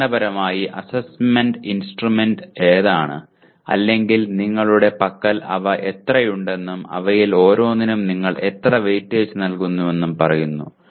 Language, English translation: Malayalam, Essentially to say which are the assessment instruments or how many you have and how much weightage you are giving it to each one of them